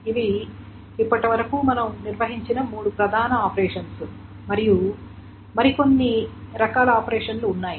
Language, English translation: Telugu, So these are the three main operations that we have handled so far